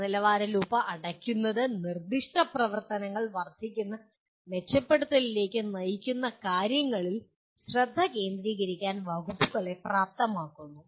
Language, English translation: Malayalam, Closing the quality loop enables the departments to focus on what specific actions lead to incremental improvements